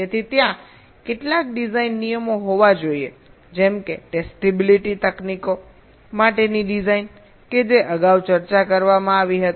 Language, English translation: Gujarati, so there has to be some design rules, like the design for testibility techniques that where discussed earlier